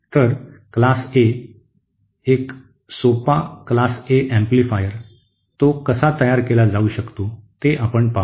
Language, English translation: Marathi, So let us see a Class A, a simple Class A amplifier, how it can be built